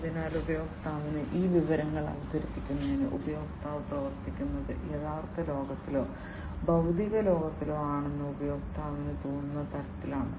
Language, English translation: Malayalam, So, this information to the user is presented in such a way that the user feels that the user is operating is acting in the real world or physical world